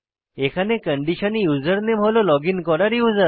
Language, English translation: Bengali, With the condition username is equal to the logged in user